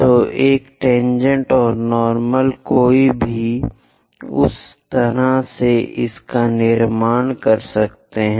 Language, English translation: Hindi, So, a tangent and normal, one can construct it in that way